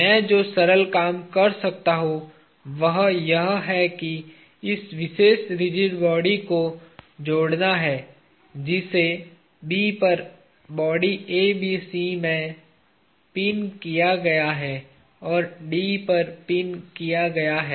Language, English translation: Hindi, The simple thing I can do is to add this particular rigid body, which is pinned at B to the body ABC and pinned at D